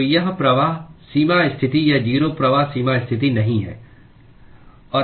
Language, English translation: Hindi, So that is the no flux boundary condition or zero flux boundary condition